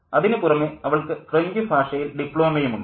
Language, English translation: Malayalam, And she has a diploma in French